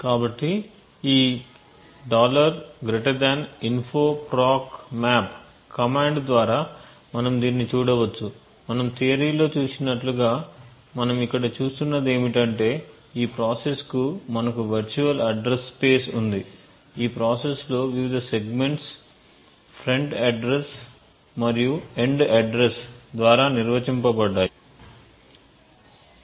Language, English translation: Telugu, So we can see this by this info propmap command and what we look at over here as we seen in the theory is that we have the virtual address space for this process, we see the various segments in the process like which are defined front by the start address and the end address